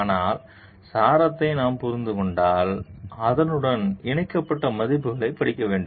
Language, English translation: Tamil, But if we get to understand the essence and we get to study the values connected to it